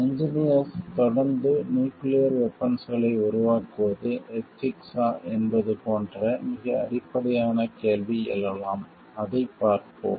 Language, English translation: Tamil, Then a very basic question may arise like is it ethical for the engineers to continue developing nuclear weapons, let us see into it